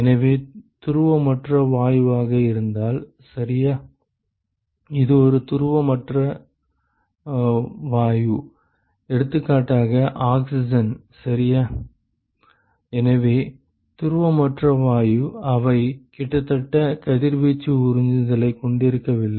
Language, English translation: Tamil, So, supposing, if it is a polar non polar gas ok; it is a non polar gas for example, like oxygen ok, so non polar gas, they have almost no radiation absorption